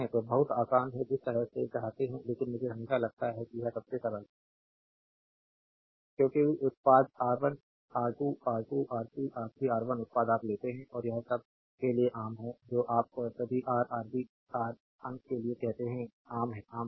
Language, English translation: Hindi, So, it is very easy the way you want, but I always feel this is the simplest one because product R 1 R 2 R 2 R 3 R 3 R 1 product; you take and this is common for all this is common for all the your what you call for all Ra Rb Rc numerator is common